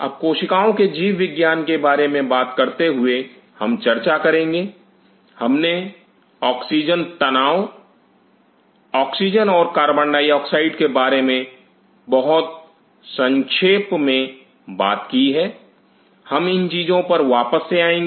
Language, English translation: Hindi, Now, while talking about the biology of the cells we talked about the oxygen tension, oxygen and carbon dioxide very briefly of course, we will come back to this thing